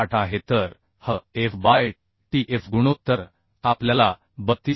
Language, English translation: Marathi, 8 so hf by tf ratio we are getting as 32